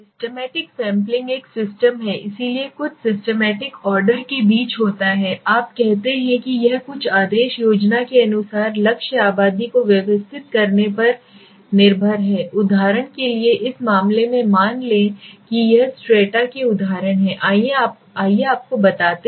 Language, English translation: Hindi, Systematic sampling there is a system so something is between the systematic order let s say you say what is it relies on arranging the target population according to some order scheme right so for example in this case let s say there are six strata s example let s consider you say